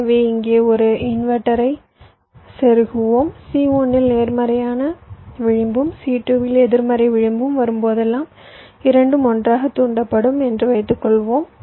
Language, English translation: Tamil, so let us insert an inverter here and lets assume that whenever there is a positive edge coming on c one and negative edge coming on c two, so both will triggered together same way